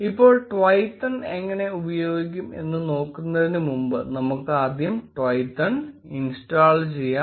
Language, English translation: Malayalam, Now before we move on to how we use Twython, let us install Twython first